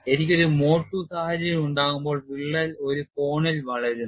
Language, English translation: Malayalam, When I have a mode two situation, the crack grow certain angle